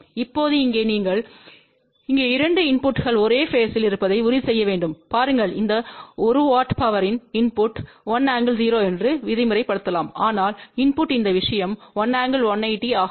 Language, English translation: Tamil, Now, over here you have to ensure that the 2 inputs here are at the same phase, just look at the extreme case here suppose the input of this one watt power is let us say a 1 angle 0, but the input at this thing is 1 angle 180 degree